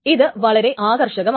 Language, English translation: Malayalam, So this is interesting